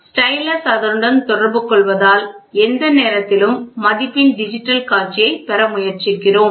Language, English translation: Tamil, The stylus comes in contact with it so we try to get a digital display of the value at any given point of time